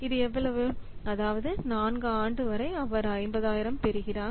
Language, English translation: Tamil, That means, up to 4th year he is getting 50,000